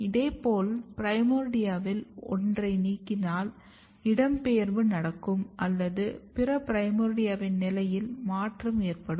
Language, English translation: Tamil, Similarly, if you remove or somehow kill the primordia one of the primordia if you look that there is a migration or there is a change in the position ofother primordia